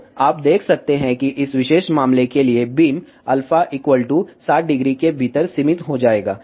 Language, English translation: Hindi, So, you can see that for this particular case, beam will be confined within alpha equal to 60 degree